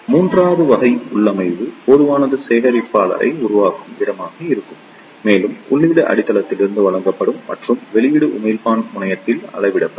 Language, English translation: Tamil, And the third type of configuration will be where the common collector will be made and the input will be given to the base and the output will be measured at the emitter terminal